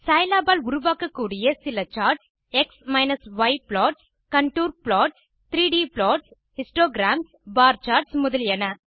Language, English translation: Tamil, The several common charts Scilab can create are: x y plots, contour plots, 3D plots, histograms, bar charts, etc..